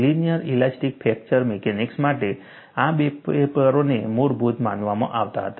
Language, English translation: Gujarati, These two papers were considered as fundamental ones for linear elastic fracture mechanics